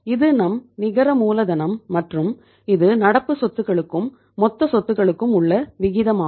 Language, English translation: Tamil, This is our net working capital and this is the ratio of the current asset to total assets